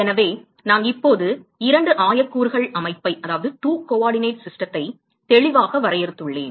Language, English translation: Tamil, So, I have now clearly defined two coordinate system